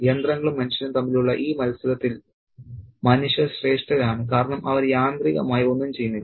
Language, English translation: Malayalam, And in this context between machines and human beings, the human beings are the superior ones because they don't do anything mechanically